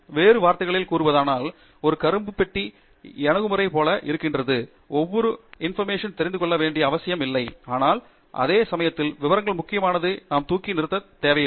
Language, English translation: Tamil, So in other words, there is something like a black box approach, we do not need to know every single detail, but at the same time we do not need to also brush away the importance of details